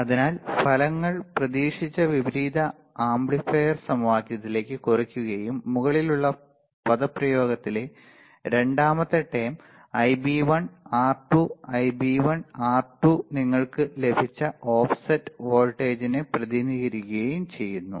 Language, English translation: Malayalam, So, the results reduce to expected inverting amplifier equation and second term in the above expression Ib1 R2 Ib1 R2 represents the represents offset voltage you got it